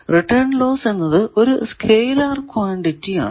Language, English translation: Malayalam, So, return loss it is a scalar quantity